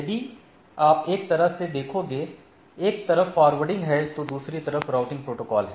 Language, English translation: Hindi, If you look at that what is other way of looking, one is forwarding another is the routing protocol, right